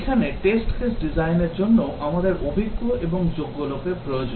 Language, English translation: Bengali, Here also for test case design, we need experienced and qualified people